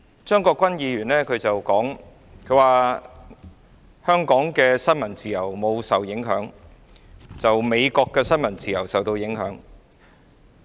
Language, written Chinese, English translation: Cantonese, 張國鈞議員說香港的新聞自由沒有受到影響，美國的新聞自由卻受到影響。, Mr CHEUNG Kwok - kwan said that freedom of the press in Hong Kong has not being affected but freedom of the press of the United States has been affected